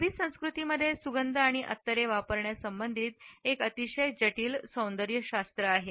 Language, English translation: Marathi, Arabic cultures have a very complex aesthetics as far as the use of scents and perfumes is concerned